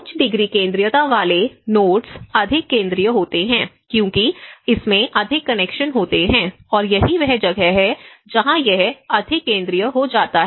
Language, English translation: Hindi, The nodes with higher degree centrality is more central so, because the more connections it have and that is where it becomes more central